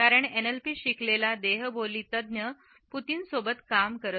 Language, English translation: Marathi, NLP is the body language expert who is worked with Putin